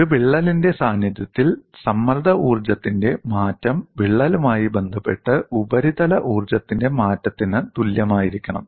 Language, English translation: Malayalam, The change of strain energy in the presence of a crack should be equal to change of surface energy with respect to the crack